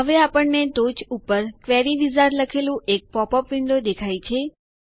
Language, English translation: Gujarati, Now, we see a popup window that says Query Wizard on the top